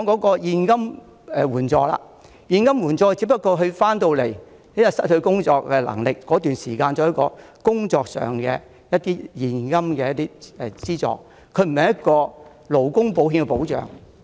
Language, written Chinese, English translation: Cantonese, 至於剛才提及的現金援助，是指受保人回港後失去工作能力期間可享有的現金資助，這有別於勞工保險的保障。, Regarding the cash benefit mentioned just now it is a cash allowance that the insured is entitled to during the period of incapacity after returning to Hong Kong . The coverage of this insurance plan is different from that of labour insurance